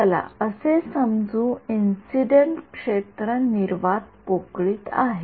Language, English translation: Marathi, Let us assume that the incident field is in vacuum